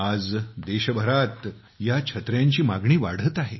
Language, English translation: Marathi, Today the demand for these umbrellas is rising across the country